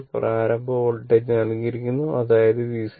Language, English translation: Malayalam, Initial voltage is given right; that is V C 0